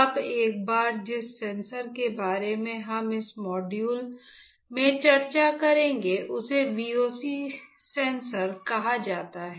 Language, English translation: Hindi, Now once a sensor that we will be discussing in this module is called VOC sensor